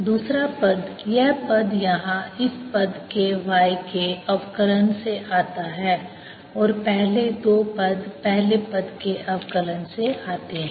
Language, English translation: Hindi, the second term, this term here comes from the differentiation of this y term and a first two terms come from the differentiation of the first